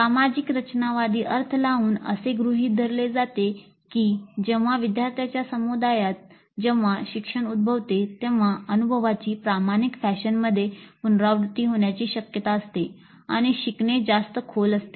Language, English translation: Marathi, So the social constructivist interpretation assumes that when the learning occurs within a community of learners the experiences are more likely to be recollected in an authentic fashion and learning is more likely to be deep